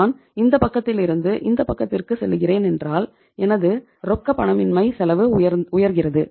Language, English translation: Tamil, If I am going from this side to this side my cost of illiquidity is going up